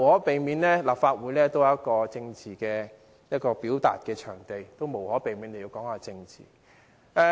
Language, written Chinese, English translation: Cantonese, 但是，立法會始終是一個政治表達場地，議員無可避免地要談到政治。, But after all the Legislative Council is a venue for political expression and it is unavoidable for Members to touch on politics in the discussion